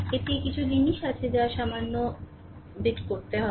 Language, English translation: Bengali, This is there are certain thing that you have to little bit